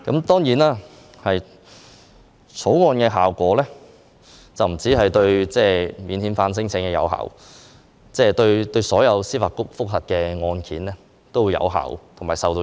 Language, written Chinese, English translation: Cantonese, 當然，《條例草案》不單影響免遣返聲請，也影響所有司法覆核案件。, Admittedly the Bill will not merely affect non - refoulement claims but also all JR cases